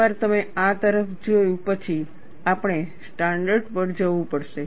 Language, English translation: Gujarati, Once you have looked at this, we have to go for standards